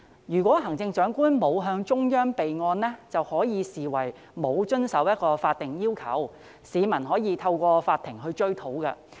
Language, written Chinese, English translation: Cantonese, 如果行政長官沒有向中央備案，將可視為沒有遵守法定要求，市民可以透過法庭追討。, If the Chief Executive failed to report to the Central Government for the record it would be considered a failure to comply with the statutory requirements and the public could pursue the matter by taking it to court